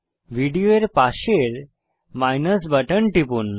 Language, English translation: Bengali, Click on the MINUS button next to Video